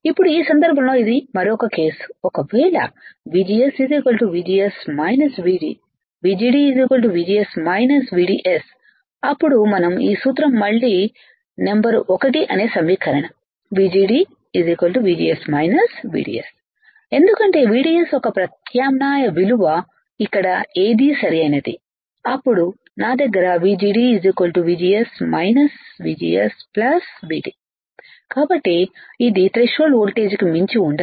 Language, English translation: Telugu, Now this is another case right in this case if VGS equals to VGS minus VD, then we have this formula again equation number one which was VGD equals to VGS minus VDS because substitute value of VDS which is right over here, then I have VGD equals to VGS minus VGS plus VD this is gone